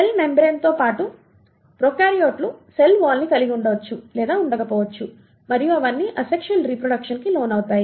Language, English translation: Telugu, In addition to cell membrane the prokaryotes may or may not have a cell wall and they all undergo asexual mode of reproduction